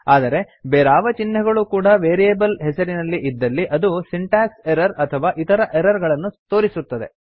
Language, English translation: Kannada, But any other punctuation in a variable name that give an syntax error or other errors